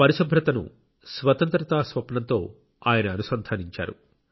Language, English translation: Telugu, Mahatma Gandhi had connected cleanliness to the dream of Independence